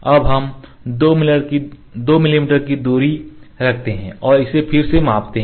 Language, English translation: Hindi, Now let us keep the distance as 2 mm and measure it again ok